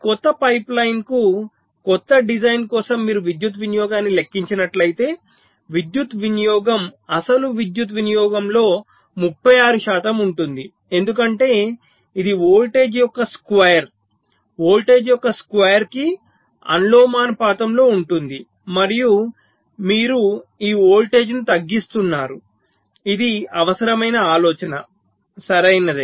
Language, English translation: Telugu, so if you compute the power consumption, so for the power for this new pipe line, new design, the power consumption was about thirty six percent of the original power consumption, because it is square of the voltage, proportional to square of the voltage, and you are reducing this voltage